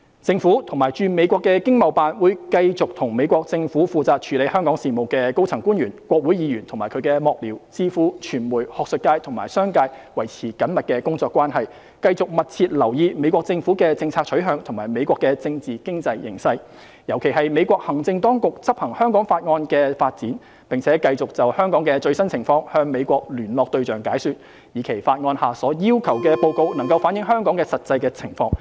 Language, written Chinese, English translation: Cantonese, 政府及駐美國的經貿辦會繼續與美國政府負責處理香港事務的高層官員、國會議員及其幕僚、智庫、傳媒、學術界及商界維持緊密工作關係，繼續密切留意美國政府的政策取向和美國的政治經濟形勢，尤其是美國行政當局執行《香港法案》的發展，並繼續就香港的最新情況向美國聯絡對象解說，以期法案下所要求的報告能反映香港實際的情況。, The Government and ETOs in the United States will continue to maintain close working relations with the United States Governments senior officials responsible for Hong Kong affairs congressional members and their staffers think tanks the media the academia and the business community continue to closely monitor the United States Governments policy direction as well as the United States political and economic landscape in particular developments relating to the United States Administrations implementation of the Hong Kong Act and continue to explain the latest situation in Hong Kong to interlocutors in the United States so that the reports required under the Hong Kong Act can reflect the actual situation in Hong Kong